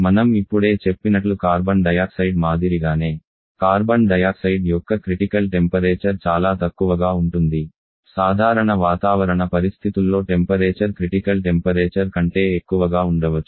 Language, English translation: Telugu, Like for Carbon dioxide and just mentioned that for Carbon dioxide critical pressure temperature is so low that under normal atmospheric condition the temperature in higher the critical temperature